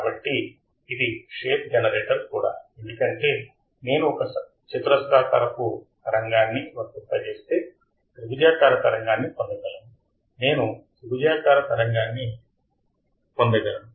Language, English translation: Telugu, So, it is a shape generator also, because if I apply a square wave I can obtain a triangle wave, I can obtain a triangle wave